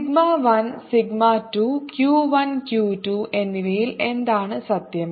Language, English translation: Malayalam, what is true about sigma one, sigma to two, q one and q two